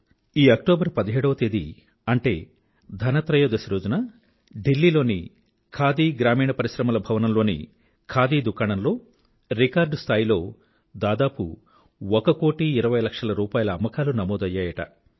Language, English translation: Telugu, You will be glad to know that on the 17th of this month on the day of Dhanteras, the Khadi Gramodyog Bhavan store in Delhi witnessed a record sale of Rupees one crore, twenty lakhs